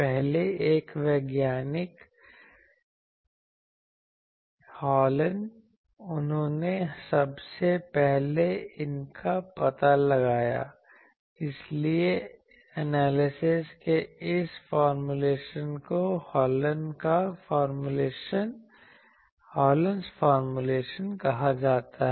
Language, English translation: Hindi, The first one scientist Hallen he first found out these, so that is why this formulation of the analysis that is called Hallen’s formulation which we will see